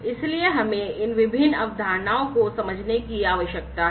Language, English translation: Hindi, So, we need to understand some of these different concepts